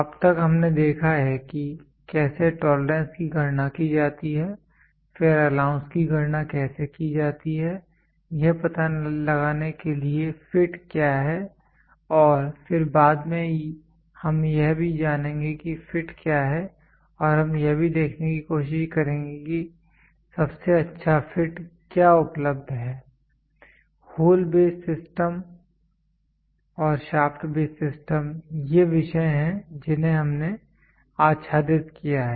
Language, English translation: Hindi, Till now we have seen how to calculate tolerance then how to calculate allowance then to find out what is the fit and then later we will also it what is the fit and we will also try to see what is the best fit available the hole base system and shaft base system these are the topics we have covered